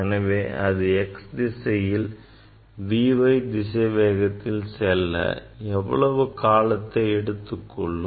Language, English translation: Tamil, it is velocity along the x axis V x is along the y axis V y velocity is 0